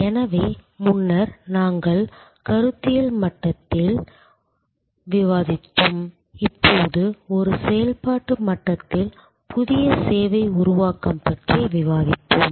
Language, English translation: Tamil, So, earlier we were discussing at conceptual level, strategic level, now we will discuss new service creation at an operational level